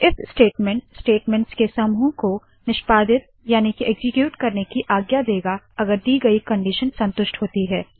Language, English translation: Hindi, The if statement allows us to execute a group of statements if a given condition is satisfied